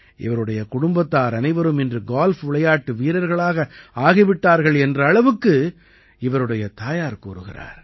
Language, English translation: Tamil, His mother even says that everyone in the family has now become a golfer